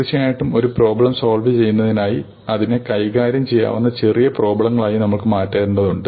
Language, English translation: Malayalam, And of course typically in order to solve a problem we need to break it down into manageable sub problems